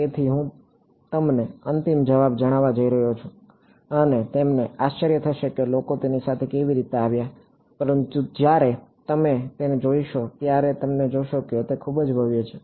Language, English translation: Gujarati, So, I am going to tell you the final answer and you will wonder how did people come up with it, but you will see when you see it, it is very elegant